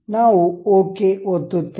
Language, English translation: Kannada, we will click ok